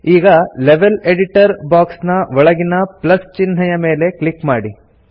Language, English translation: Kannada, Now under the Level Editor box, click on the Plus sign